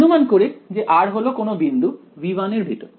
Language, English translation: Bengali, So, supposing I put r is equal to some point inside v 1 here